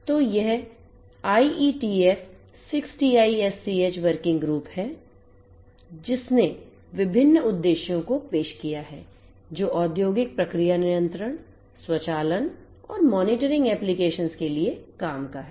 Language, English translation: Hindi, So, there is this IETF 6TiSCH working group which introduced different objectives which are relevant for industrial process control, automation, and monitoring industrial applications